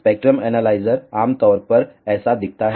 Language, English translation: Hindi, The spectrum analyzer typically looks like this